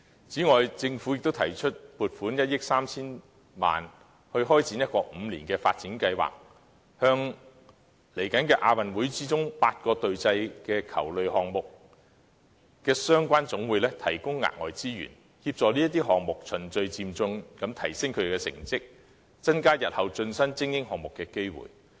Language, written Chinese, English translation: Cantonese, 此外，政府亦提出撥款1億 3,000 萬元開展一個5年發展計劃，向未來的亞運會8個隊際球類項目的相關總會提供額外資源，協助這些項目循序漸進提升成績，增加日後成為精英項目的機會。, In addition the Government has also proposed to earmark 130 million for the launch of a five - year development programme to provide additional funding for eight relevant national sports associations competing in team ball games in the Asian Games with the aim of enhancing the performance of team sports progressively and increasing their chances of attaining elite sports status in future